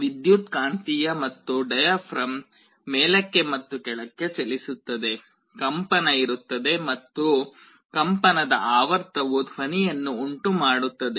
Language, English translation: Kannada, The electromagnet as well as the diaphragm will be moving up and down, there will be a vibration and the frequency of vibration will generate a sound